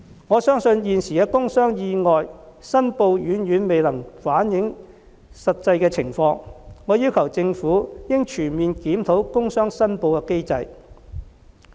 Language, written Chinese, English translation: Cantonese, 我相信現時的工傷意外申報遠遠未能反映實際情況，我要求政府應全面檢討工傷申報機制。, I believe that the existing system of reporting industrial injuries and accidents can hardly reflect the real situation and thus request that the Government should comprehensively review this system